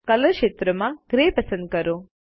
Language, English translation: Gujarati, In the Color field, select Gray